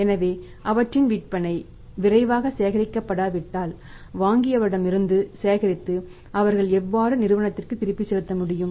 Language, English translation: Tamil, So, if their sales are not collectible quickly the how will they be able to pay back to the firm from whom they are buying